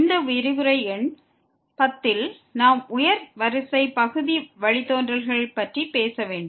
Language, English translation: Tamil, And this is lecture number 10 we will be talking about Partial Derivatives of Higher Order